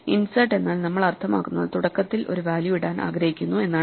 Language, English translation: Malayalam, So, by insert we mean that we want to put a value at the beginning